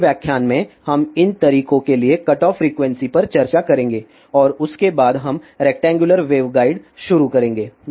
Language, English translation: Hindi, In the next lecture we will discuss the cutoff frequencies for these modes and after that we will start rectangular wave guides